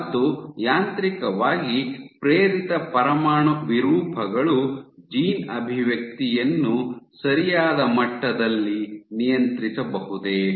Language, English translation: Kannada, And can mechanically induced nuclear deformations control gene expression in a control level in a predictable manner